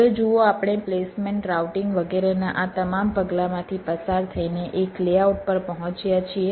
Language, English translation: Gujarati, now, see, we have gone through all these steps of placement, routing, etcetera, etcetera